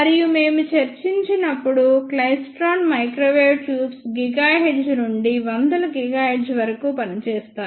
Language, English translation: Telugu, And as we discussed the klystron microwave tubes can work from fraction of gigahertz to about hundreds of gigahertz